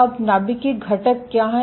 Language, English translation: Hindi, So, if you think of the nucleus